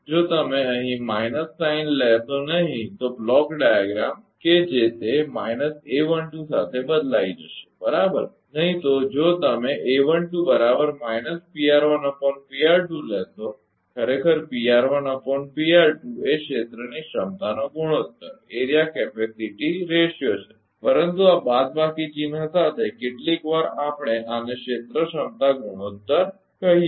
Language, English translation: Gujarati, If you ah if you do not take minus sign here then block diagram that will change with that minus a 1 2, right, otherwise if you take a 1 2 is equal to minus P r 1 upon P r 2 actually P r 1 upon P r 2 is area capacity ratio, but with this minus sign sometimes we call this is also area capacity ratio